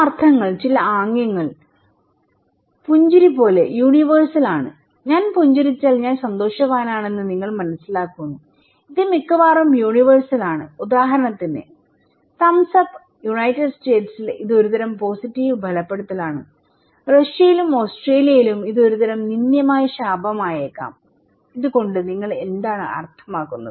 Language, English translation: Malayalam, Some meanings, some gestures are very universal like smile, if I smile you understand I am happy, okay and it is almost universal but for example, the thumbs up, okay in United States, it is a kind of positive reinforcement, in Russia and Australia it could be an offensive curse for this one, what is the meaning of this one to you okay